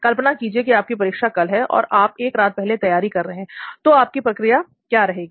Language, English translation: Hindi, Imagine you have an exam the next day and you are going to prepare this night, so what will you be exactly doing